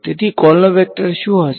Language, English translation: Gujarati, The column vector will be